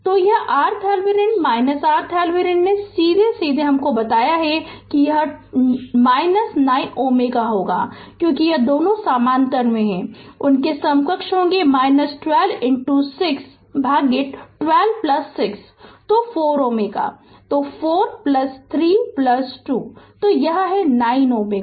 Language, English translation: Hindi, So, this R Thevenin your R Thevenin directly I told you, it will be your 9 ohm, because this two are in parallel their equivalent will be your 12 into 6 by 12 plus 6 so 4 ohm so, 4 plus 3 plus 2 so it is 9 ohm